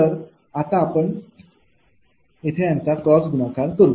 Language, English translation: Marathi, now you go for cross multiplication, you go for cross multiplication